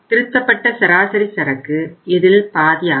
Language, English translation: Tamil, And revised average inventory is the half of this